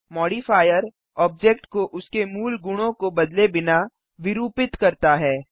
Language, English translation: Hindi, A Modifier deforms the object without changing its original properties